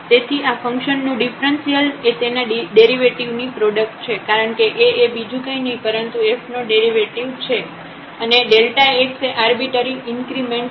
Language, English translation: Gujarati, So, this differential of the function is the product of its derivative because A is nothing, but the derivative of this f and the arbitrary increment delta x